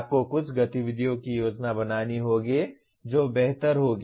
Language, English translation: Hindi, You have to plan some activities that will improve